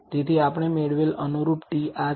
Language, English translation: Gujarati, So, the corresponding t that we obtained is this